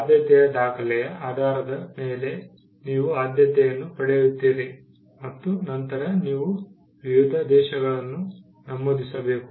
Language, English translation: Kannada, Based on the priority document, you get a priority and then you enter different countries